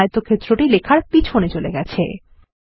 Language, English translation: Bengali, Here the rectangle has moved behind the text